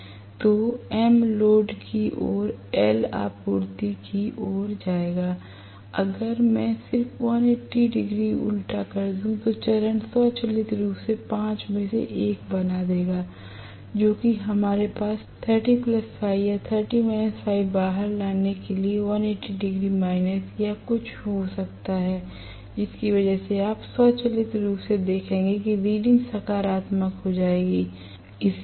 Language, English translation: Hindi, So, M toward the load side L will come towards the supply side, if I just reverse 180 degree out of phase will automatically make 1 of the 5 whatever we have 30 plus Φ or 30 minus Φ come out to be may be 180 minus or something like that because of which you will automatically see that the reading becomes positive